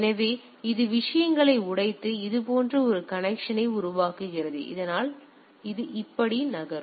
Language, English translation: Tamil, So, that is it breaks the things and create a connection like this so, that it moves like that